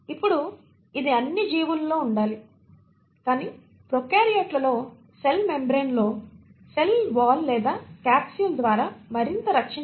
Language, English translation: Telugu, Now this has to be there in all the organisms, but within prokaryotes you can have categories where in the cell membrane may be further protected by a cell wall or a capsule